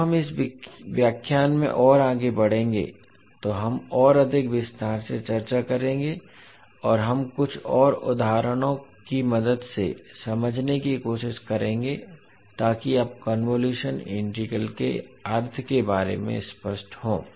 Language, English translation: Hindi, So we will discuss more in detail when we will proceed more in this particular lecture and we will try to understand with help of few more examples so that you are clear about the meaning of convolution integral